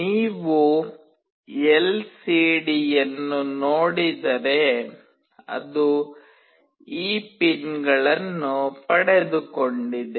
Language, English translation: Kannada, If you see the LCD, it has got these pins